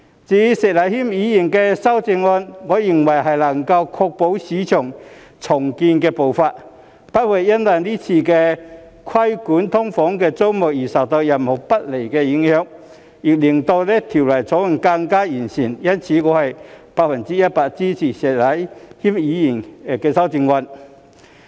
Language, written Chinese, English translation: Cantonese, 至於石禮謙議員的修正案，我認為能夠確保市區重建步伐不會因為今次規管"劏房"租務而受到任何不利影響，亦令《條例草案》更完善，因此我百分之一百支持石禮謙議員的修正案。, As for Mr Abraham SHEKs amendments I think they can ensure that the pace of urban renewal will not be adversely affected by the current regulation of the tenancies of SDUs and also make the Bill more perfect . Hence I am totally in support of Mr Abraham SHEKs amendments